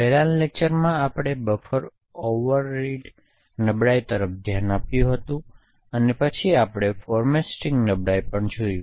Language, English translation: Gujarati, In the previous lectures we had looked at Buffer Overread vulnerabilities and then we also looked at format string vulnerabilities